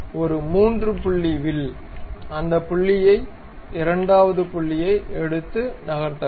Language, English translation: Tamil, So, a 3 point arc pick that point, second point and move it